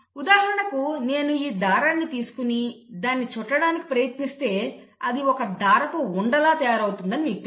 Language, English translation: Telugu, It is like I take this thread and then try to wind it and you know form it into a ball of thread